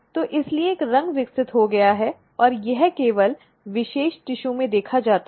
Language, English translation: Hindi, So, therefore, a color has developed and it is seen in particular tissue only